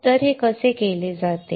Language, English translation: Marathi, So how is this done